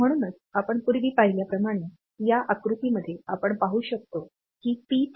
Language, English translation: Marathi, So, as we are have seen previously like in this diagram we can see that P3